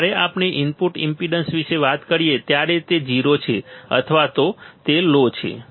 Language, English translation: Gujarati, When we talk about output impedance it is 0 or it is low, it is low ok